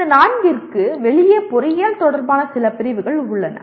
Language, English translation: Tamil, And there are some categories specific to engineering outside these four